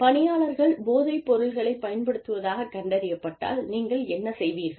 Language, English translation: Tamil, What you do, when employees are found to have been, using drugs